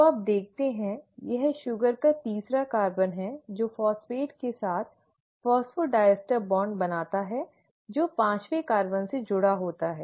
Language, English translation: Hindi, So you always find at, this is the third carbon of the sugar which is forming the phosphodiester bond with the phosphate which is attached to the fifth carbon